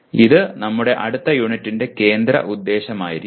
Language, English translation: Malayalam, So that will be the focus of our next unit